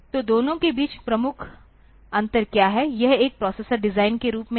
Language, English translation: Hindi, So, what is the major difference between the two, the point is, that as a processor designer